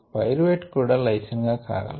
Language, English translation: Telugu, pyruvate can also go through lysine